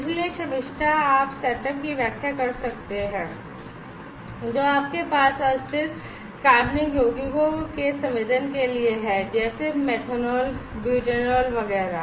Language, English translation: Hindi, So, Shamistha could you please explain the setup that you have for sensing volatile organic compounds like; methanol, butanol etcetera